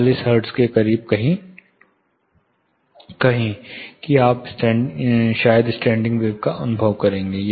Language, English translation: Hindi, Say somewhere close to 40 hertz you will probably experience standing wave